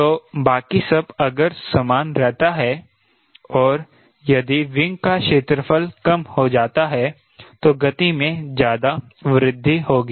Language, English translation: Hindi, so everything, even if same, if the wing area reduces, then the speed increase will be more